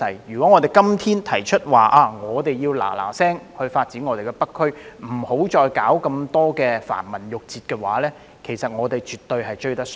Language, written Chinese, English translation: Cantonese, 如果我們今天提出要立即發展北區，不要再理會繁文縟節，我們絕對追得上。, If we propose today to develop the North District immediately disregarding the red tape we can definitely catch up